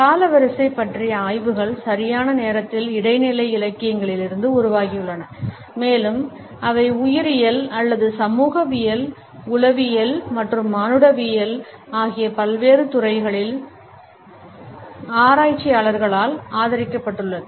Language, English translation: Tamil, Studies of chronemics have developed from interdisciplinary literature on time and they have been also supported by researchers in diversified fields of biology or sociology, psychology as well as anthropology